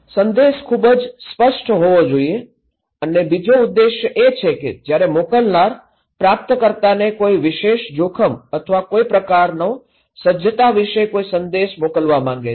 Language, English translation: Gujarati, The message should be very clear and second objective is that when senders wants to send the receiver some message about a particular risk or a kind of some preparedness message